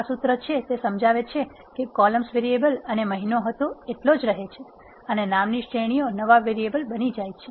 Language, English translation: Gujarati, That is what this formula explains, columns variable and month remain as it is and the categories in the name becomes new variable